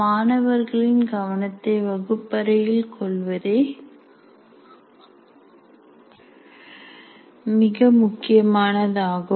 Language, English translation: Tamil, The most important thing is getting the attention of the students in the class